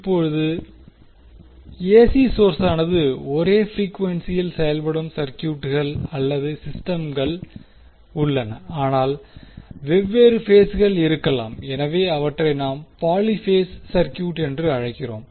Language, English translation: Tamil, Now, there are circuits or systems in which AC source operate at the same frequency, but there may be different phases So, we call them as poly phase circuit